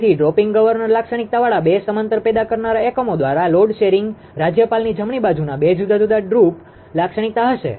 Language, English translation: Gujarati, So, load sharing by two parallel generating units with drooping governor characteristic two different droop characteristic of the governor right